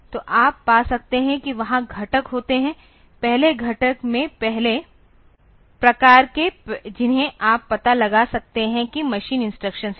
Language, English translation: Hindi, So, you can find that there are components in the first component first type of things that you can find out are the machine instructions